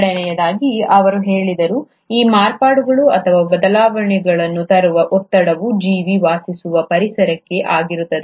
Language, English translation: Kannada, The second he said, the pressure which brings about these modifications, or the variations, is the environment in which the organism lives